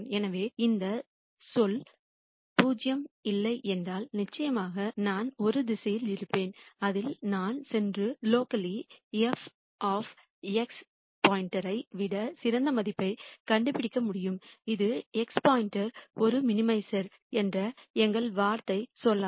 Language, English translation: Tamil, So, if this term is not 0 then for sure I will have one direction in which I can go and find a value better than f of x star locally, which would invalidate our argument that x star is a minimizer